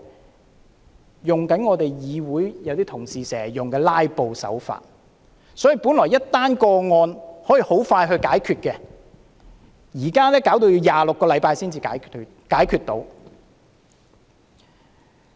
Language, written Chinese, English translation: Cantonese, 他們用我們議會一些同事經常使用的"拉布"手法，所以，一宗個案原本可以很快解決，但現在要26個星期才可以解決。, They employ the delaying tactics which some Members in this Council always use and therefore the handling of each case now takes 26 weeks though it can be dealt with expeditiously